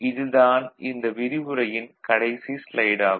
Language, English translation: Tamil, So, the last slide of this is a particular discussion